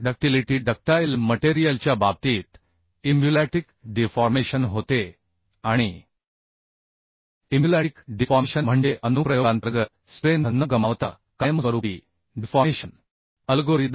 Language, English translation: Marathi, in in case of ductility ductile material, uhh deformation happens and emulatic deformation means permanent deformation without loss of strength under the application algorithm